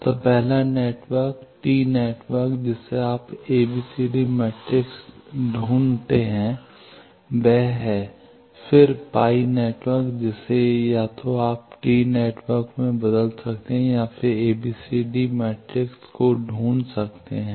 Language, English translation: Hindi, So, the first network tee network you can find the ABCD matrix to be this, then the pie network that either you can convert to tee network and then find the ABCD matrix